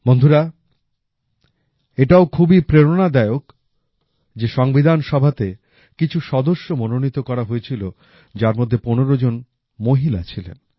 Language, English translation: Bengali, Friends, it's again inspiring that out of the same members of the Constituent Assembly who were nominated, 15 were Women